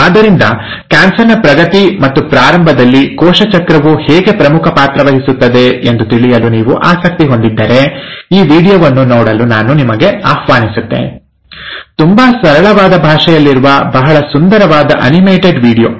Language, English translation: Kannada, So if you are interested to know exactly how cell cycle plays a very vital role in progression and initiation of cancer, I invite you to see this video, a very nice animated video in a very simple language